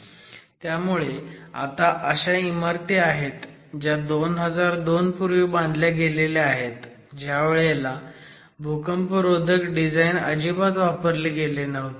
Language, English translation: Marathi, So, you are looking at existing buildings which have been designed in the pre 2002 regime where seismic design might not have been addressed at all